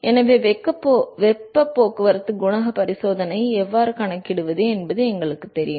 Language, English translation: Tamil, So, we know how to calculate the heat transport coefficient experiment